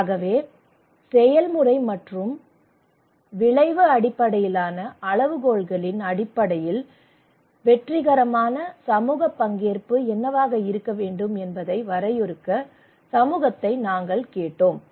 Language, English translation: Tamil, So we asked the community to define what a successful community participation should have in terms of process and outcome based criteria